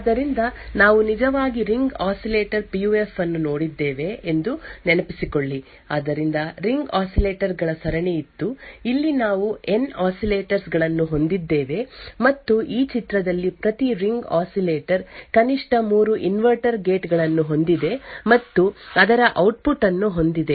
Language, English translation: Kannada, So recollect that we actually looked at Ring Oscillator PUF which was something like this, so there were a series of ring oscillators, over here we had N oscillators and each ring oscillator had in this figure at least has 3 inverter gates, and output of the 3rd one is actually looped back and connected to the 1st inverter